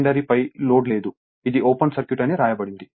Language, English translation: Telugu, There is no load on the secondary, it is written open circuit right